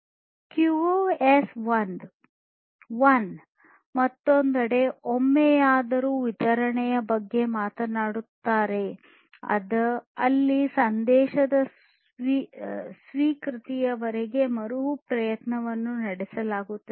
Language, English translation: Kannada, QoS 1: on the other hand, talks about at least once delivery, where retry is performed until the acknowledgement of the message is received